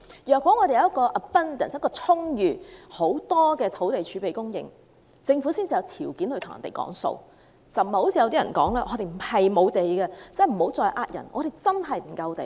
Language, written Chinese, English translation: Cantonese, 如果我們有充裕的土地儲備供應，政府才有條件討價還價，而不是如某些人說香港並非土地不足，請他們不要欺騙人。, Only if the Government has an ample land reserve will it be in a position to bargain . The claim of certain people that there is no shortage of land in Hong Kong is not true . Please do not deceive others